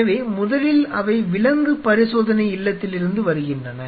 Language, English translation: Tamil, So, first of all they arrive from the animal house